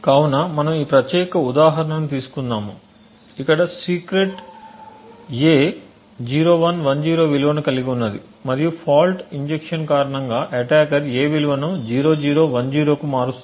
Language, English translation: Telugu, So we have taken this particular example where a which is secret has a value of 0110 and the attacker has somehow due to the fault injection change the value of a to 0010